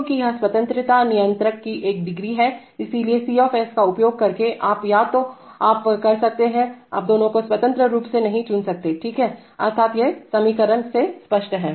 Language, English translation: Hindi, Because this is a one degree of freedom controller, so using C you can either you can, you cannot select both of them independently, right, that is, that is obvious from the equations